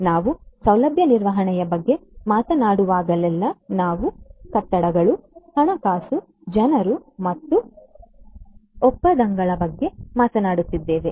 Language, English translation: Kannada, So, whenever we are talking about facility management we are talking about buildings, finance, people, contracts and so on